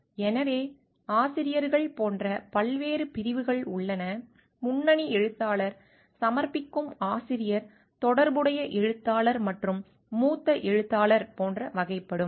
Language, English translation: Tamil, So, there are different categories of authors like; lead author, submitting author, corresponding author and senior author